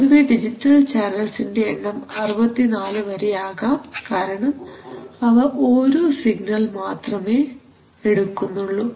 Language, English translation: Malayalam, Typically number of digital channels are much more 64, like that because they take only one signal each, resolution says what